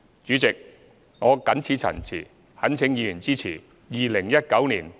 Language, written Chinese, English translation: Cantonese, 主席，我謹此陳辭，懇請議員支持《2019年撥款條例草案》。, With these remarks President I implore Members to support the Appropriation Bill 2019